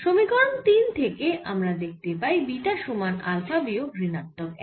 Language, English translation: Bengali, so from equations three we see that beta is equal to alpha minus one